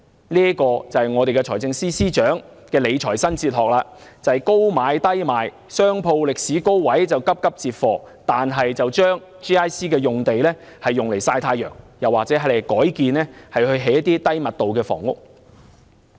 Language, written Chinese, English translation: Cantonese, 這就是財政司司長的理財新哲學：高買低賣，商鋪歷史高位就急急接貨 ，GIC 用地卻用來曬太陽或改建為低密度房屋。, This is the new financial philosophy of the Financial Secretary buying at high prices and selling at low prices; rushing to purchase shop units at peak prices while GIC sites are left idle or rezoned for low - density housing